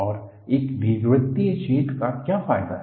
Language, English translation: Hindi, And, what is the advantage of an elliptical hole